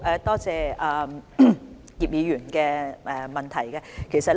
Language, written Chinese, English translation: Cantonese, 多謝葉議員的補充質詢。, Thank you Mr IP for his supplementary question